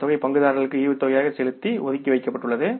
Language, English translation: Tamil, This amount has been kept aside to be paid as dividend to the shareholders